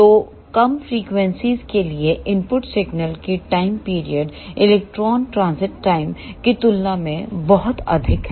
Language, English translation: Hindi, So, for low frequencies the time period of the input signal is very very greater than the electron transit time